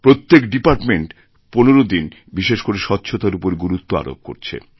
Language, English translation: Bengali, Each department is to focus exclusively on cleanliness for a period of 15 days